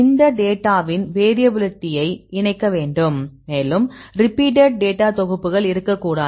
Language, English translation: Tamil, So, you have to combine the variability of this data and there should not be the any repeated data sets